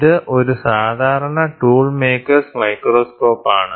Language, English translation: Malayalam, So, this is a typical tool maker’s microscope